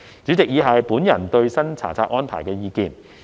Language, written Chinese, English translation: Cantonese, 主席，以下是我對新查冊安排的意見。, President the following is my views on the new inspection regime